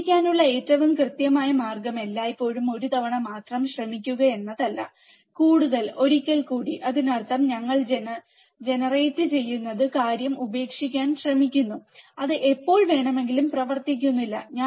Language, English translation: Malayalam, The most certain way of to succeed is always to try just once once more one more time; that means, that we generate try to give up the thing, right when it does not work